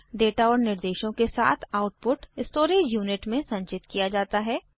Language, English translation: Hindi, The output is then stored along with the data and instructions in the storage unit